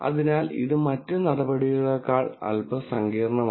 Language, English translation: Malayalam, So, this is little more complicated than the other measures